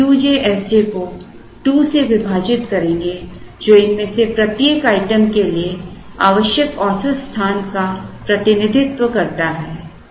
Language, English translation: Hindi, So, we will do Q j S j by 2, which represents the average space required for each of these items